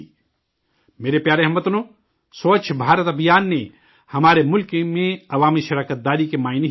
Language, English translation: Urdu, My dear countrymen, Swachh Bharat Abhiyan has changed the meaning of public participation in our country